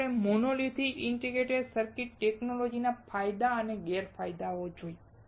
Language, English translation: Gujarati, Then we saw the advantages and disadvantages of monolithic integrated circuit technology